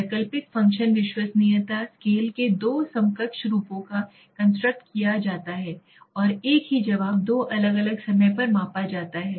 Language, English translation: Hindi, Alternative function reliability, two equivalent forms of scales are constructed and the same responded are measured at two different times